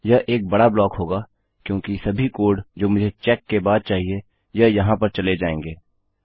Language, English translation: Hindi, This will be a big block because all the code that I require after I check this will go in here